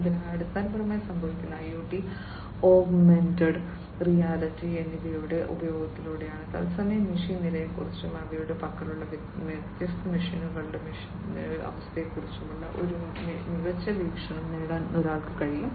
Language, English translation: Malayalam, So, basically what happens is with the use of IoT and augmented reality, one is able to get a smart view about the real time machine status and the condition of the machines of the different machines that they have